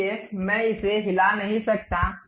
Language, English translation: Hindi, So, I cannot really move it